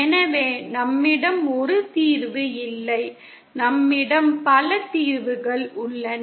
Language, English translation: Tamil, So we donÕt have a single solution, we have multiple solutions